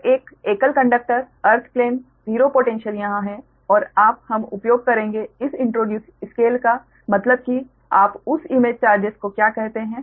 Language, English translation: Hindi, so this is a single conductor, earth plane, zero potential here, and you will use that, introduce scale means, what you call that image charges